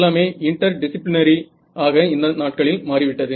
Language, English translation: Tamil, Everything has become so interdisciplinary these days right